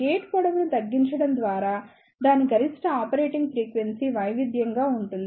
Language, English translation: Telugu, By reducing the gate lengths, its maximum operating frequency can be varied